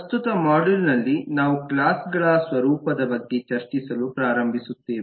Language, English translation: Kannada, in the current module we will start discussing about the nature of classes